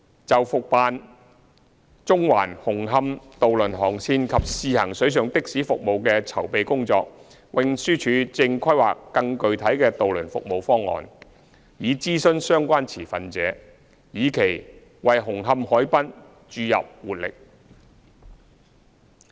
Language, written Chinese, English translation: Cantonese, 就復辦中環―紅磡渡輪航線及試行水上的士服務的籌備工作，運輸署正規劃更具體的渡輪服務方案以諮詢相關持份者，以期為紅磡海濱注入活力。, Regarding the preparatory work for recommissioning the Central - Hung Hom ferry route and launching a pilot water taxi service the Transport Department is formulating ferry service proposals with further details for consulting relevant stakeholders with a view to enhancing vibrancy of the Hung Hom harbourfront